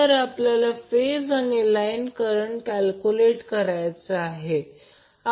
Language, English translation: Marathi, We need to calculate the phase and line currents